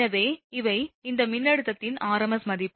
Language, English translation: Tamil, So, this r m s value will be, of this voltage, right